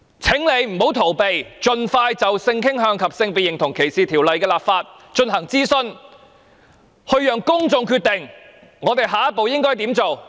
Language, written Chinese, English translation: Cantonese, 請他不要逃避，盡快就性傾向及性別認同歧視條例的立法進行諮詢，讓公眾決定下一步應怎麼辦。, I request him not to shy away but promptly conduct consultation on legislation against discrimination on grounds of sexual orientation and gender identity so that the public can decide what to do next